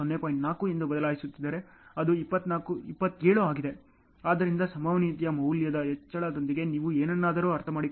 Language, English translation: Kannada, 4 it is 27; so, with the increase in probability value so, you can understand something